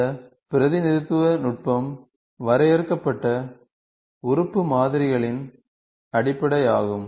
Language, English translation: Tamil, This representing technique is based on the finite element modelling